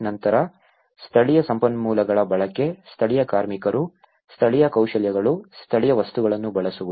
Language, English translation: Kannada, Then, use of local resources; using the local labour, local skills, local materials